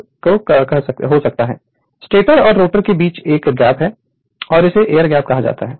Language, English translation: Hindi, So, there is a there is a gap in between the stator and rotor and that we call air gap right